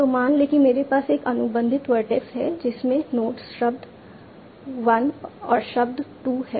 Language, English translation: Hindi, Suppose I have a contacted vertex that has nodes word 1 and word 2